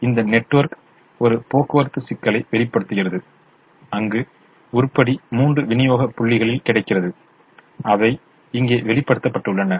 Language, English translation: Tamil, so this network shows a transportation problem where the item is available in three supply points which are shown here